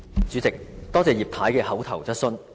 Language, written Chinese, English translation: Cantonese, 主席，多謝葉太的口頭質詢。, President I would like to thank Mrs IP for her oral question